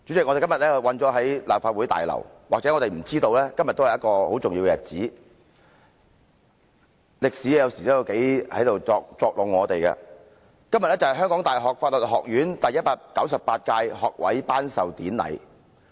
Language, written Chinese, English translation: Cantonese, 我們今天困身於立法會大樓，可能不知道今天是一個很重要的日子——歷史有時真的在作弄我們——香港大學法律學院今天舉行第一百九十八屆學位頒授典禮。, As we are detained in the Legislative Council Complex today we may not know that today is a very important day―history makes fun of us sometimes―today is the 198 Congregation of the Faculty of Law of the University of Hong Kong